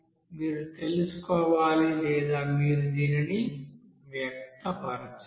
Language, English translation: Telugu, You have to find out or you have to express this